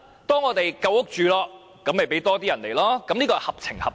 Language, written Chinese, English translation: Cantonese, 當我們有足夠房屋，便讓多些人來港，才是合情合理。, It is reasonable to let more people come to Hong Kong for resettlement only when there is sufficient housing supply